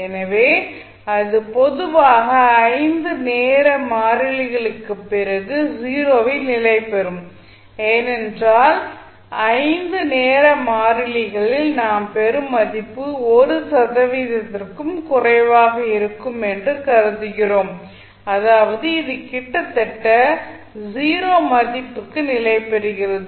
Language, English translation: Tamil, So, this will settle down after generally it settles down after 5 time constants because we assume that at 5 time constants the value what we get is less than 1 percent means it is almost settling to a 0 value